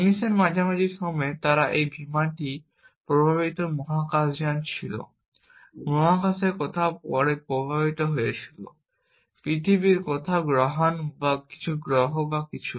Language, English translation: Bengali, Sometime in the mid 19th, they had this aircraft flowing spacecraft, flowing somewhere in space going to earth some asteroid or some planet or something